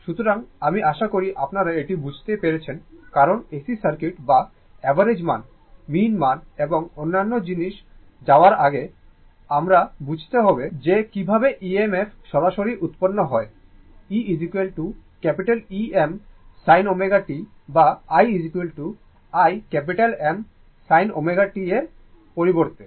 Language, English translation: Bengali, So, that will be your n I hope you have understood this right because before going to AC circuits or average value mean value and other thing, I hope you have understood this that how EMF is generated instead of directly starting by taking e is equal to E m sin omega t or i is equal to i M sin omega t